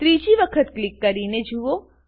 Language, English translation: Gujarati, Try to click for the third time